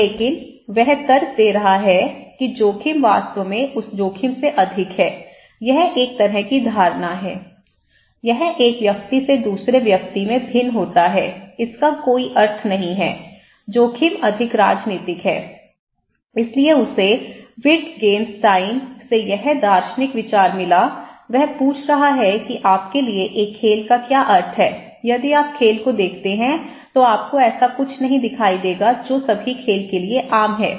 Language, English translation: Hindi, But he is arguing that risk is more than that risk actually a kind of perceptions, it varies from one person to another, there is no one meaning, risk is more polythetic, so he got this philosophical idea okay, from Wittgenstein, he is asking that to for you what is the meaning of a game okay, for if you look at the game, you will not see something that is common to all game